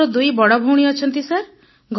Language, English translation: Odia, Actually I have two elder sisters, sir